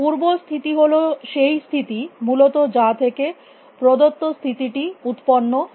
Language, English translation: Bengali, The parent state is the state from that given state was generated essentially